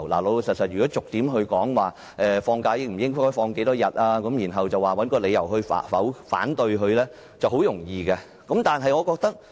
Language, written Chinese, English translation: Cantonese, 老實說，如果逐點討論，例如假期應該有多少天，然後找個理由提出反對，是很容易的。, Frankly if we discuss the points one by one such as how many days the leave should be and then find a reason for raising objection that will be easy